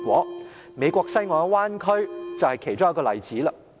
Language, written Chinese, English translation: Cantonese, 例如美國西岸的灣區，就是其一個例子。, The bay area on the West Coast of the United States is one such example